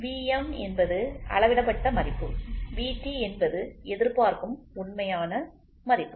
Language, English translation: Tamil, So, V m is the measured value and V t is the true value what is expected or whatever it is, right